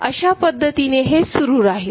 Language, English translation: Marathi, So, this way it will continue